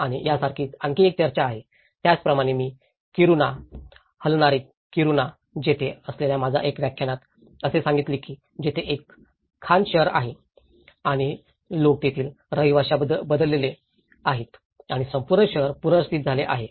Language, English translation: Marathi, And like this is another discussion, I did also explain in one of my lecture on the Kiruna, the moving Kiruna, where there is a mining town and people are relocated the whole town is getting relocated